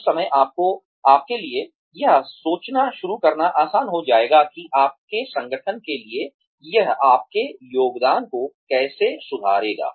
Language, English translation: Hindi, At that point, it will become easier for you, to start thinking of, how it will improve your contribution, to your organization also